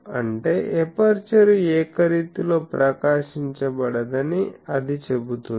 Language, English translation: Telugu, So, that says that the aperture is not getting uniformly illuminated